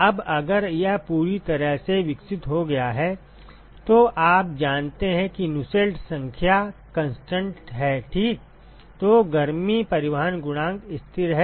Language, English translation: Hindi, Now, if it is fully developed you know that the Nusselt number is constant right; so, the heat transport coefficient is constant